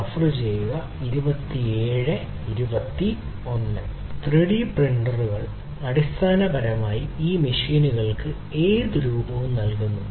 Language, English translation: Malayalam, 3D printers, basically, you know, you give any shape these machines 3D printers